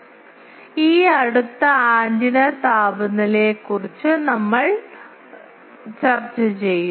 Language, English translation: Malayalam, So, we will discuss this next, antenna temperature